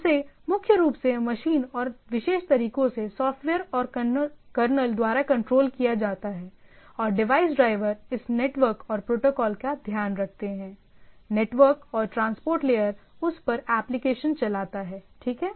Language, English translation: Hindi, Over that primarily it is handled by the machine and by software and kernel of the particular ways, and the device drivers to takes care of this network and protocol; the network and transport layer and over that the application runs, right